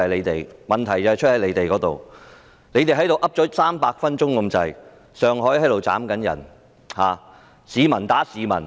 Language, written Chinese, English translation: Cantonese, 他們在這裏說了接近300分鐘，上水正有人斬人、市民打市民。, They have spoken here for almost 300 minutes during which someone was assaulting other people with a knife in Sheung Shui